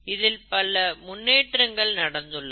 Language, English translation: Tamil, There’s a lot of development that has happened